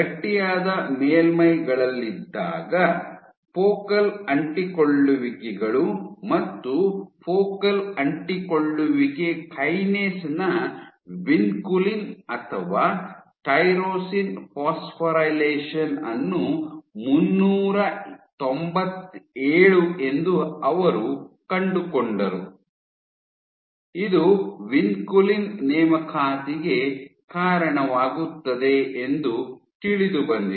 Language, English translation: Kannada, While on stiff surfaces, they found focal adhesions and vinculin or phosphorylation of focal adhesion kinase at 397, tyrosine phosphorylation at of focal adhesion kinase at 397, which is known to lead to recruitment of vinculin was only observed on stiff surfaces